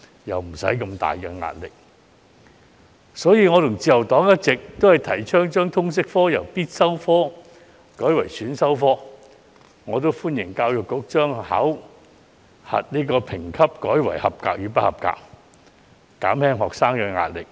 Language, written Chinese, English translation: Cantonese, 因此，我和自由黨一直提倡將通識科由必修科改為選修科，亦歡迎教育局將考核評級改為"及格"與"不及格"，以減輕學生的壓力。, What is more they may find it easier to absorb the relevant knowledge when they reach the age of entering university . Thus the Liberal Party and I have been advocating to change LS from a compulsory subject to an elective one . We also welcome the Education Bureau to change the grading of LS to pass and fail so as to reduce the pressure of students